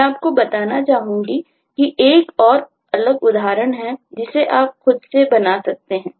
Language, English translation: Hindi, there is an another different example here which you can make out by yourself